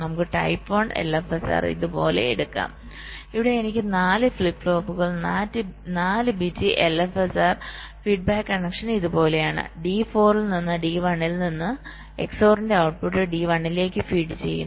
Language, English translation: Malayalam, so lets take ah, type one l f s r like this: where i have four flip flops, ah, four bit l f s r, the feedback connection is like this: from d four and from d one, the output of the xor is fed to d one